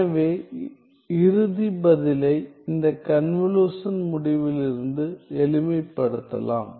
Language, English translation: Tamil, So, the final answer can be simplified from this convolution result